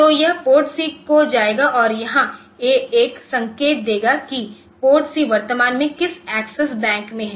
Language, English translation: Hindi, So, this it will go to PORTC and here the a will indicate that the PORTC is in the current access bank